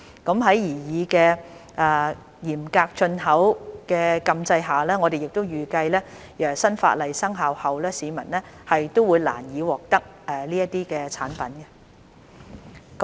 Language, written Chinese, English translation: Cantonese, 在擬議的嚴格進口的禁制下，我們亦預計新法例生效後市民會難以獲得這些產品。, Under the proposed stringent import ban we expect that it will be difficult for the public to obtain these products after the new legislation has come into effect